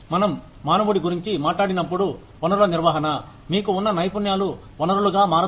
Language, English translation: Telugu, When we talk about human resources management, the skills that you have, become the resource